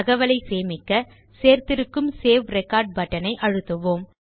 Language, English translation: Tamil, To save this information, we will press the Save Record button that we put there